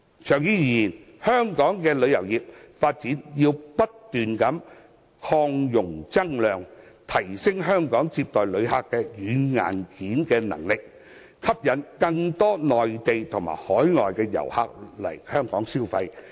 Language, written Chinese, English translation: Cantonese, 長遠而言，香港旅遊業的發展要不斷擴容增量，提升香港接待旅客的軟硬件能力，吸引更多內地和海外遊客到港消費。, In the long run Hong Kong needs to expand the development of its tourism industry and enhance its software and hardware in receiving tourists so as to attract more Mainland and overseas tourists to visit and spend their money in Hong Kong